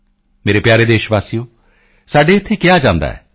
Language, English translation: Punjabi, My dear countrymen, it is said here